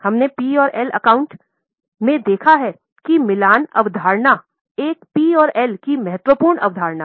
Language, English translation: Hindi, I think we have seen in P&L account that matching concept is an important concept of PNL